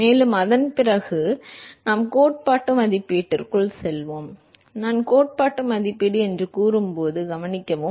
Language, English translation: Tamil, And, after that we will go into the theoretical estimation, note that when I say theoretical estimation